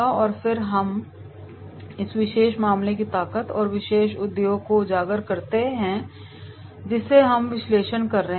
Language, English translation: Hindi, And then we have 2 also highlight the strength of this particular case and then this particular industry which we are making the analysis